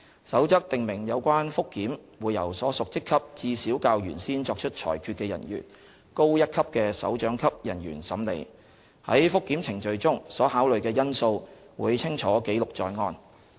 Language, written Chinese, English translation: Cantonese, 《守則》訂明有關覆檢會由所屬職級至少較原先作出裁決的人員高一級的首長級人員審理，在覆檢程序中所考慮的因素會清楚記錄在案。, The Code specifies that any request for review should be handled by a directorate officer at least one rank senior to the officer who made the original decision . A clear record should be kept of the factors taken into consideration in the review process